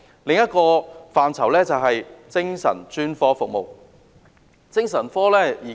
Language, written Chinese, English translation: Cantonese, 另一個範疇就是，精神專科服務。, Another area is psychiatric specialist services